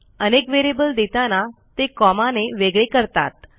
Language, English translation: Marathi, Here we need to separate the variables by a comma